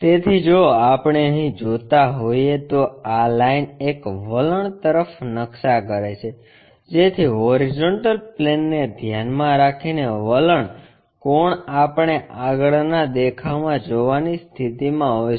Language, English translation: Gujarati, So, if we are seeing here, this line this line maps to an inclined one, so that inclination angle with respect to horizontal plane we will be in a position to see in the front view